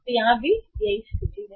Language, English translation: Hindi, So this is the situation here